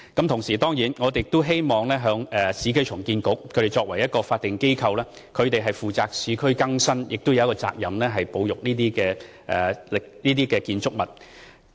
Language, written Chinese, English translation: Cantonese, 同時，我們當然亦希望市建局作為法定機構，負責市區更新之餘，也有責任保育這些建築物。, Besides we certainly expect that URA as a statutory body will also take up the responsibility to conserve these buildings apart from taking forward urban renewal